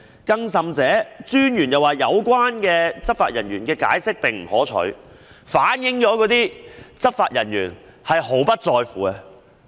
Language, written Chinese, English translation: Cantonese, 更甚的是，專員指有關執法人員的解釋並不可取，反映執法人員"毫不在乎"。, More importantly the Commissioner deemed the explanation given by the law enforcement agency undesirable which reflected a couldnt - care - less attitude of the officer concerned